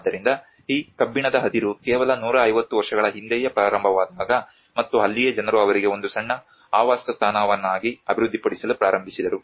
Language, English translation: Kannada, So when this iron ore have started just 150 years before and that is where people started developing a small habitat for them